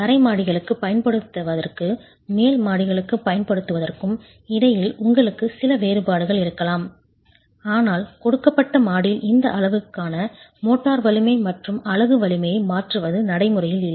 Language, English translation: Tamil, You might have some difference between what is used for the ground story versus what is used for the upper stories, but in a given story changing these parameters, motor strength and unit strength is not practical